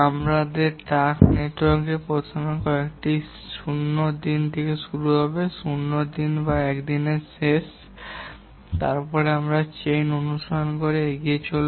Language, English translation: Bengali, In our task network, the first task will always be starting at day 0, that is end of day 0 or day 1, and then we will work forward following the chain